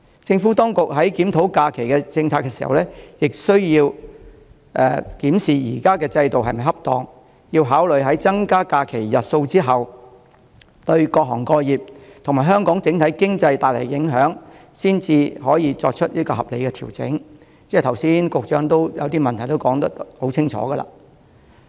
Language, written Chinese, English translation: Cantonese, 政府當局在檢討假期政策時，亦須檢視現行制度是否恰當，考慮在增加假期日數後，對各行各業和香港整體經濟帶來的影響，才能作出合理的調整，而局長剛才亦把一些問題說得很清楚。, When the Administration reviews its holiday policy it has to examine whether the existing policy is appropriate and in what ways the increase in the number of holidays will affect various trades and the economy before making any reasonable adjustment . The Secretary has very clearly told us some of the problems concerned . The current holiday system of Hong Kong originated from the system in 1960s when Hong Kong was under British rule has continued all along